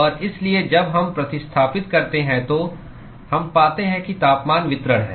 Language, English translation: Hindi, And so, when we substitute we can find that the temperature distribution